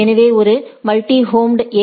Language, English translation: Tamil, There is a multi homed AS